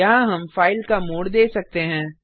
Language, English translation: Hindi, Here we can give the mode of the file